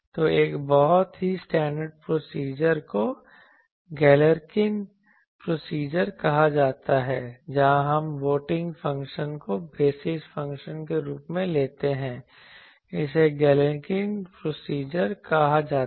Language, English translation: Hindi, So, a very standard procedure is called Galerkin procedure, where the we take the weighting function same as the basis function this is called Galerkin procedure